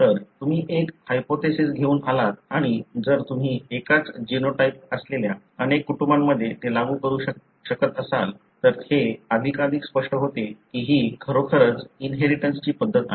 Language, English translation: Marathi, So, you sort of come up with a hypothesis and if you can apply that in multiple families having the same genotype, it becomes more and more clear that this is indeed the mode of inheritance